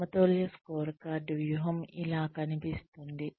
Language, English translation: Telugu, This is what, balanced scorecard strategy, looks like